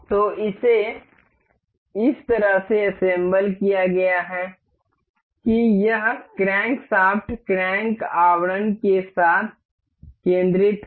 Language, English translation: Hindi, So, this has been assembled in a way that this crankshaft is concentrated with the crank casing